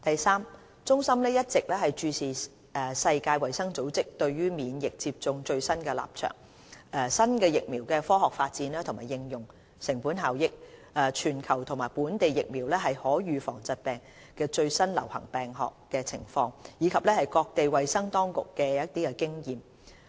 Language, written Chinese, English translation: Cantonese, 三中心一直注視世界衞生組織對免疫接種的最新立場、新疫苗的科學發展和應用、成本效益、全球和本地疫苗可預防疾病的最流行病學情況，以及各地衞生當局的經驗。, 3 CHP has kept abreast of the latest position of the World Health Organization on immunization and vaccination the scientific development and application of new vaccines as well as their cost - effectiveness the latest global and local epidemiology of vaccine preventable diseases and the experience of other health authorities